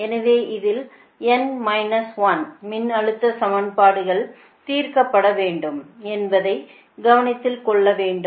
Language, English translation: Tamil, then it should be noted that n minus one voltage equation are to be solved